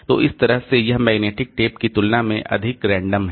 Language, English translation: Hindi, So, that way it is more random compared to this magnetic tape